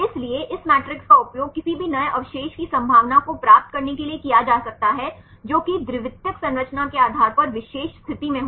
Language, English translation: Hindi, So, this matrix can be used to obtain the probability of any new residue to be in particular position the depending upon the secondary structure